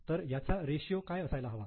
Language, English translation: Marathi, So, what should be the ratio